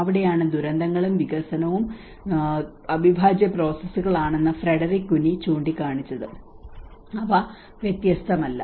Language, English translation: Malayalam, And that is where the disasters and development as Frederick Cuny had pointed out the disasters and development are the integral processes it is they are not separate